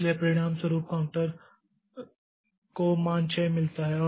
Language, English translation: Hindi, So, as a result, counter gets the value 6